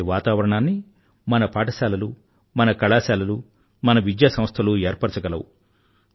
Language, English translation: Telugu, Such an atmosphere can be created by our schools, our colleges, our teachers, our educational institutions